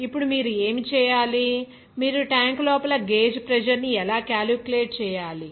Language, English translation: Telugu, Now, what you have to do, you have to calculate the gauge pressure inside the tank